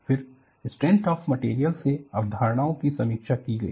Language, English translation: Hindi, Then, the concepts from strength of materials were reviewed